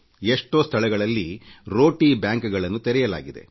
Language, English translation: Kannada, There are many places where 'Roti Banks' are operating